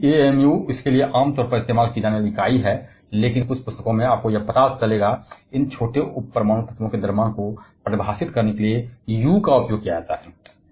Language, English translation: Hindi, While amu is the commonly used unit for this, but in some books, you will also find this small U is used to define the mass of these atomic sub atomic elements